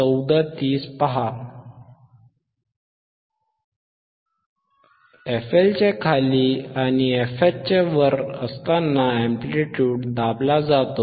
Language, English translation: Marathi, While below the fL and above fH, the amplitude is suppressed